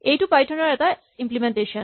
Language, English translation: Assamese, Here is an implementation in Python